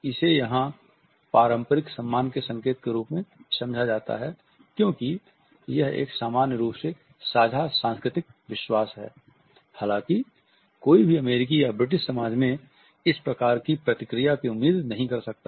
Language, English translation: Hindi, It is understood as a sign of mutual respect because this is a commonly shared cultural belief; however, one cannot expect the same reaction in an American or a British society